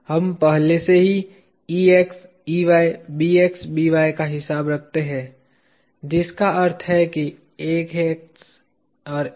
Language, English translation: Hindi, We already accounted for Ex, Ey, Bx, By which means Ax and Ay